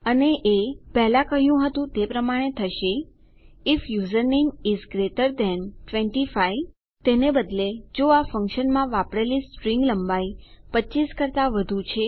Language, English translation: Gujarati, And that is going to be what we said before, if username is greater than 25 Rather if the string length used in this function is greater than 25..